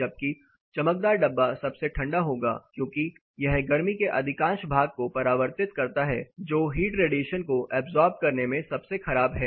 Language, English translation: Hindi, Whereas the shiny container would be the coolest because it reflects most part of the heat it is poorest in absorbing heat radiation